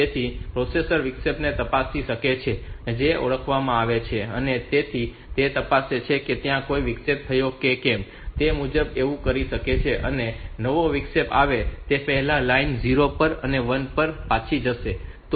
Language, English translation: Gujarati, So, the processor can check the interrupt that is that is to be recognized so in the so it checks whether there are any interrupt has occurred and accordingly it can do that and the line must go to 0 and back to 1 before new interrupt has occurred